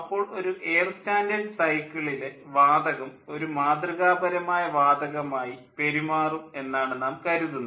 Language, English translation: Malayalam, and then for air standard cycle, we assume the gas behaves like the gas, behaves like an ideal gas